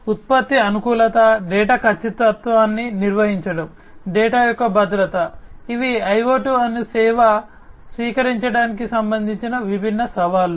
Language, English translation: Telugu, Product compatibility, maintaining data accuracy, security of data, you know, these are different challenges with respect to the adoption of IoT as a service